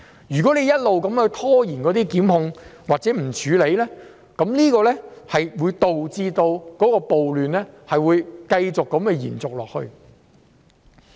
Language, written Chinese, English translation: Cantonese, 如果一直拖延檢控或不處理，將會導致暴亂繼續延續下去。, Delayed prosecutions and lack of actions will cause riots to persist